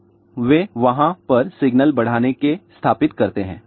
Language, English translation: Hindi, So, they do install signal enhancers over there